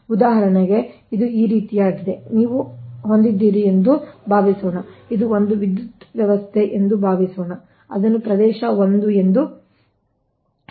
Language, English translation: Kannada, for example, suppose you have, suppose you have this is one power system, say area one